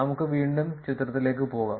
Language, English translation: Malayalam, Let us go to the figure again